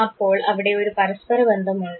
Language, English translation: Malayalam, So, there is a correlation